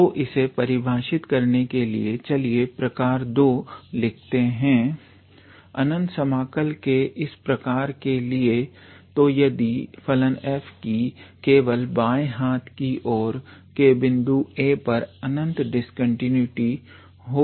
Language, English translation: Hindi, So, to define that let us write type II type of improper integral, so if the function f has infinite discontinuity only at left hand end point a